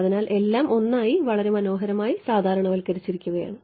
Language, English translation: Malayalam, So, everything is normalized very nicely to 1 right